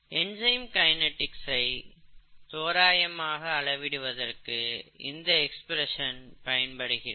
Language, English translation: Tamil, So this is one way of quantifying enzyme kinetics